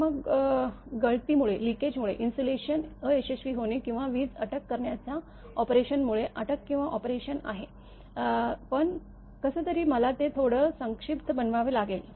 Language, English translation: Marathi, So, then due to leakage insulation failure or lightning arrester operation; arrestor operation is there, but somehow I have to make it little bit condense